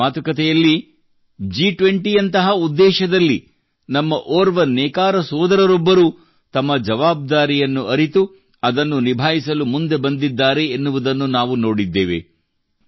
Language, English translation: Kannada, In today's discussion itself, we saw that in an international event like G20, one of our weaver companions understood his responsibility and came forward to fulfil it